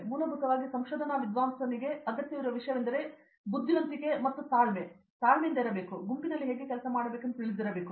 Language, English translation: Kannada, Basically the most and foremost thing a research scholar should need is patience, even though he had intelligence and all, it won’t work because he should know how to work in a group